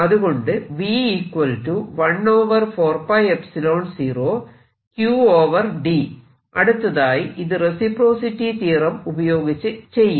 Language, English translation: Malayalam, only let us now do this problem using reciprocity theorem